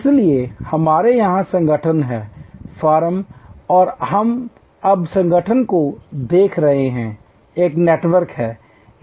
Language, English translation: Hindi, So, we have here the organization, the firm and we are now looking at the organization is a network